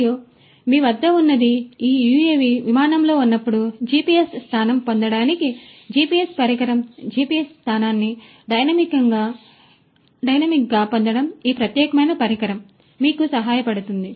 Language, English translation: Telugu, And on the top what you have is the GPS device for getting the GPS position while this UAV is on flight, getting the GPS position dynamically this particular device can help you do that